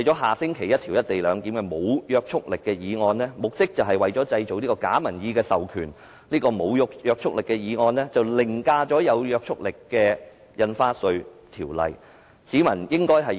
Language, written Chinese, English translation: Cantonese, 下星期有關"一地兩檢"的無約束力議案目的是製造假民意授權，而這項無約束力的議案凌駕了有約束力的《條例草案》。, The non - binding motion on the co - location arrangement to be moved next week aims at generating a fake public mandate . The non - binding motion has overridden the Bill that is legally binding